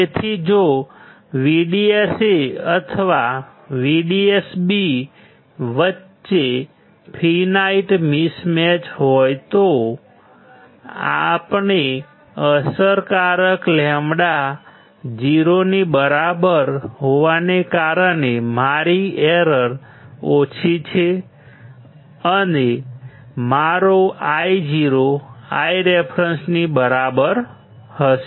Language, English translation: Gujarati, So, even there is a finite mismatch between VDS1 or VDS N VDS b, since lambda effective equals to 0, my error is less, and my Io will be equals to I reference